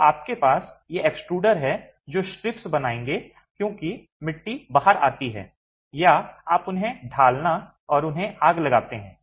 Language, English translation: Hindi, So, you have these extruders which will create strips as the clay comes out or you mould them and fire them